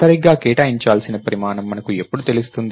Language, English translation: Telugu, When do we know the size to allocate right